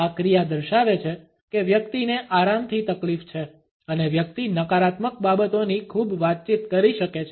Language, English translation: Gujarati, This action demonstrates that the person is ill at ease and can communicate a cluster of negative things